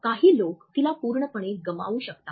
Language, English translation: Marathi, Some people can miss it altogether